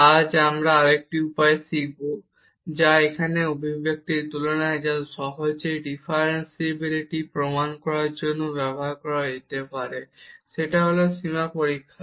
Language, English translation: Bengali, Today we will learn another way now which is equivalent to this expression here that can be used to prove differentiability easily and that is a limit test